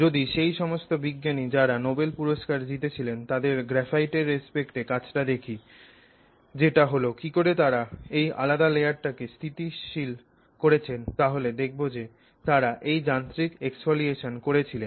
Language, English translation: Bengali, So, now if you look at what the Nobel Prize Prize winning scientists did with respect to graphite which is how they discovered that they could make this separate layer, you know, stable is that they actually did this mechanical of exfoliation